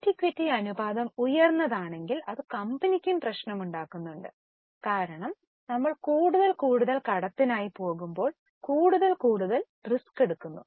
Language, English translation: Malayalam, It also creates problem to the company if the debt equity ratio is high because you are taking more and more risk when you are going for more and more debt